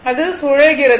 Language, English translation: Tamil, Now, it is revolving